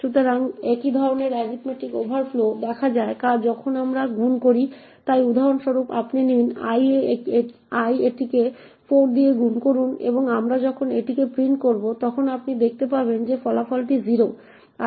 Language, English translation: Bengali, So, similar kind of arithmetic overflows can be also seen when we do multiplication, so for example you take l multiply it by 4 and when we do print it you will see that the result is 0